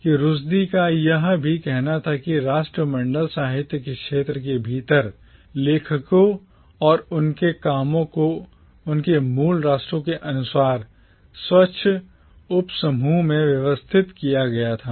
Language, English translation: Hindi, What also concerned Rushdie was that within the field of Commonwealth literature, the authors and their works were arranged in neat subgroups according to their nations of origin